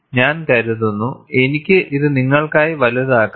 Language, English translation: Malayalam, I think, I could magnify it for you